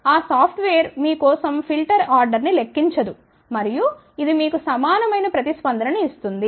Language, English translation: Telugu, That software will not calculate for you order of the filter and then it will give you the response which is very similar to this